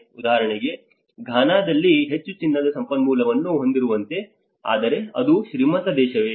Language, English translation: Kannada, Like for instance in Ghana, which has much of gold resource, but is it a rich country